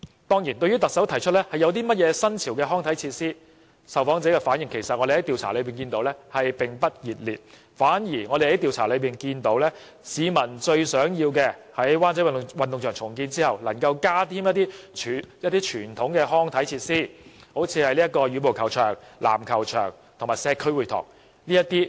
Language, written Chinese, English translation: Cantonese, 對於特首提出提供一些新潮康體設施的建議，據我們調查所得，受訪者的反應其實並不熱烈，市民最希望的反而是在灣仔運動場重建後能夠增加一些傳統康體設施，例如羽毛球場、籃球場及社區會堂等。, Regarding the Chief Executives proposal to provide trendy and novel recreation and sports facilities our survey found that the public are far from enthusiastic about the idea . Instead what they want most with the redevelopment of WCSG is the additional provision of traditional sports and recreation facilities such as badminton and basketball courts as well as community halls